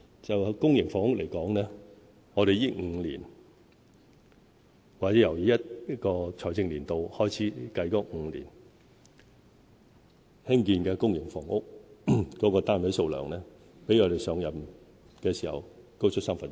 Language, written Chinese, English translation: Cantonese, 就公營房屋來說，在這5年或由本財政年度開始計算的5年，興建的公營房屋單位數量，比我們上任時高出三分之一。, Insofar as public housing is concerned in these five years or in the five years starting from this financial year the number of public housing units built will increase by one third when compared with that at the time when we assumed office